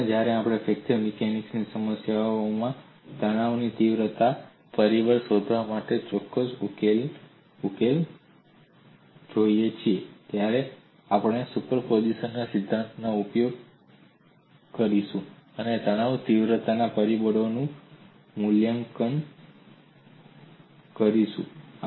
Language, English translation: Gujarati, In fact when we look at certain solutions for finding out, stress intensity factor in fracture mechanics problems, we would employ principle of superposition and evaluate the stress intensity factors